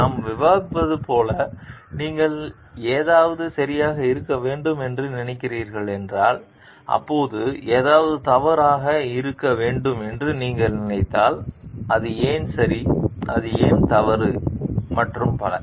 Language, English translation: Tamil, As were discussing it is like if you are thinking something to be right, why it is right, if you are thinking something to be wrong then, why it is wrong and so on